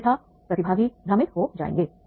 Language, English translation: Hindi, Otherwise participants will get confused